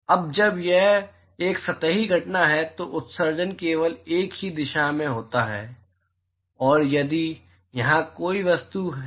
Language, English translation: Hindi, Now when it is a surface phenomena, the emission is only in the one direction and if there is a object here